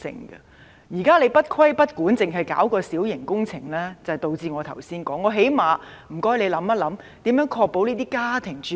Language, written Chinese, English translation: Cantonese, 現時當局不規不管，只是從規管小型工程着手，因此會導致我剛才所提及的問題。, At present the authorities do not impose any regulation and only approach this matter from the angle of minor works thus leading to the problems mentioned by me earlier on